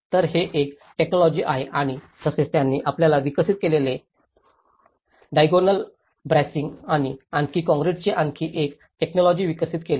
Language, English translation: Marathi, So, this is one technology and also they developed one more technology of having a diagonal bracing and the concrete balls you know